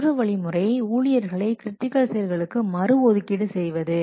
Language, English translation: Tamil, Another thing is that reallocate staff to critical activities